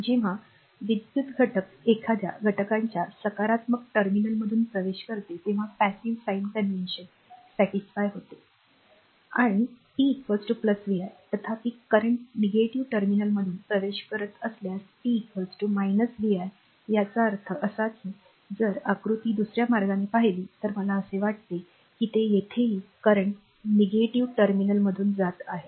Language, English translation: Marathi, So, passive sign convention is satisfied I told you when the current enters through the positive terminal of an element and p is equal to plus vi; however, if the current enters your through the negative terminal, then p is equal to minus vi; that means, if you look at the diagram other way I think it is current entering through the negative terminal here also I have made I here it is another way is that current entering through the positive terminal it is i